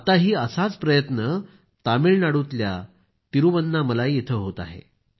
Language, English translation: Marathi, Now one such effort is underway at Thiruvannamalai, Tamilnadu